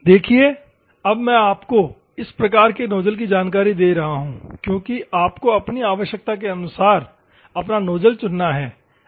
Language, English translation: Hindi, See, now I am giving you knowledge of this type of nozzles because you have to choose your own nozzle as per your requirement